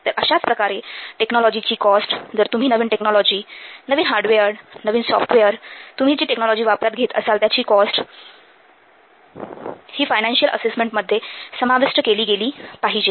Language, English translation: Marathi, So, similarly then the cost of technology, if you will use a new technology, new hardware, new software, so the cost of technology adopted that must be taken into account in the financial assessment